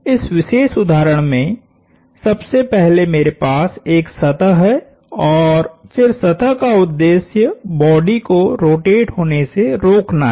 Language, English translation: Hindi, First of all in this particular instance I have a surface and then the objective of the surface is to keep the body from rotating